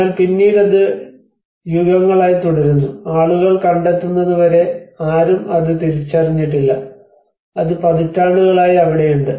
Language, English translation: Malayalam, But then it has been there for ages and until people have discovered no one have realized it, and it has been there since many decades